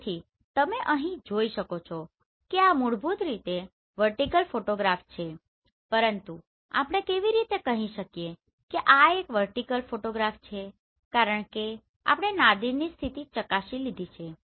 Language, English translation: Gujarati, So you can see here this is basically the vertical photograph, but how do we say this is a vertical photograph because we have checked the Nadir position